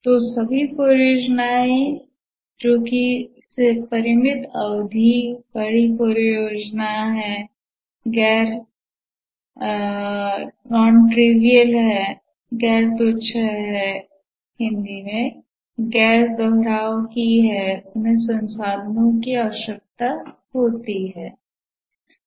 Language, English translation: Hindi, So, all projects are of finite duration, large projects, non trivial, non repetitive, and these require resources